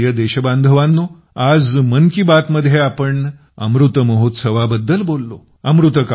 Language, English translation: Marathi, today in 'Mann Ki Baat' we talked about Amrit Mahotsav